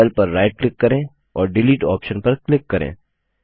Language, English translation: Hindi, Now right click on the cell and click on the Delete option